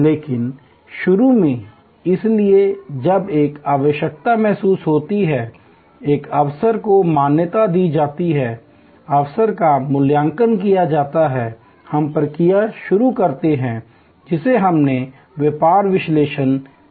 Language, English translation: Hindi, But, initially therefore, when a need is felt, an opportunity is recognized, the opportunity is evaluated, we start the process, which we called the business analysis phase